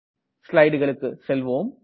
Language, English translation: Tamil, Let me go back to the slides